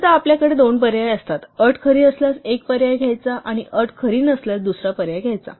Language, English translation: Marathi, Quite often, we have two alternatives; one to be taken if the condition is true, and the other to be taken if the condition is not true